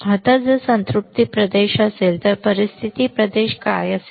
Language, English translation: Marathi, Now, if there is a saturation region, what is situation region